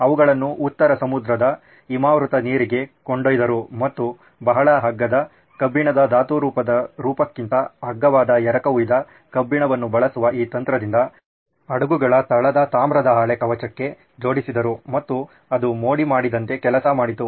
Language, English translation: Kannada, He took it to the icy waters of North Sea and applied this technique of using cast iron which is very cheap, much cheaper than the elemental form of iron and attached it to the hulls of the ship, the copper sheet of the ships and it worked like a charm